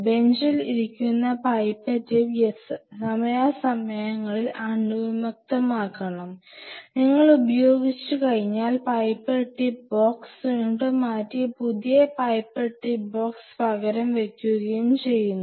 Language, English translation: Malayalam, If the pipette tip sitting there on the bench which time to time are sterilized and every time you use somebody comes with a fresh pipette box, pipette tip box and kept it there and remove it and again replace it some new pipette tip box